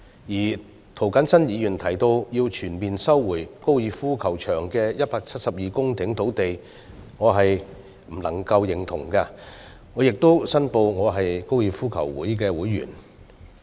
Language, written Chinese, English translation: Cantonese, 至於涂謹申議員提到要全面收回粉嶺高爾夫球場的172公頃土地，恕我無法苟同，而我亦要申報我是香港哥爾夫球會的會員。, As to Mr James TOs recommendation to fully resume the 172 - hectare site of the Fanling Golf Course I beg to differ and I have to declare that I am a member of the Hong Kong Golf Club